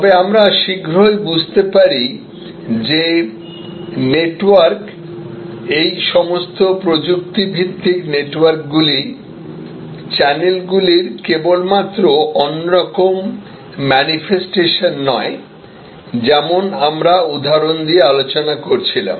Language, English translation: Bengali, But, soon we understood that network, all these technology based networks were not just another manifestation of channels as we were discussing with examples